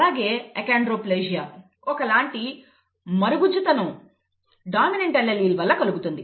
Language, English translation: Telugu, Similarly achondroplasia, a type of dwarfism, results from a dominant allele again